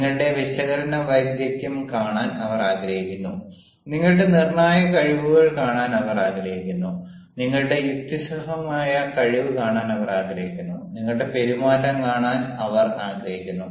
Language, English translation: Malayalam, given because they want to see your analytical skills, they want to see your decisive skills, they want to see your reasoning ability, they want to see your behaviour